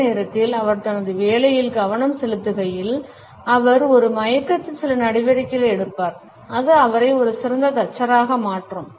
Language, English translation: Tamil, At the same time, while he is concentrating on his work he would also be taking certain steps in an unconscious manner which would make him an excellent carpenter